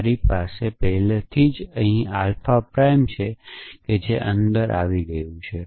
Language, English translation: Gujarati, I already have alpha prime here which has got inside